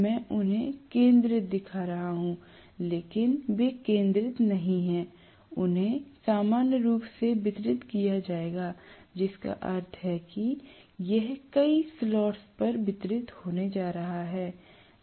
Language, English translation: Hindi, I am showing them as though they are concentrated but they are not concentrated, they will be distributed normally, distributed meaning it is going to be distributed over several slots